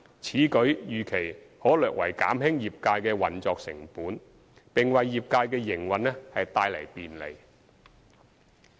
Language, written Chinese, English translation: Cantonese, 此舉預期可略為減輕業界的運作成本，並為業界的營運帶來便利。, This is expected to slightly reduce the operating costs of the trades and bring convenience to the trades operation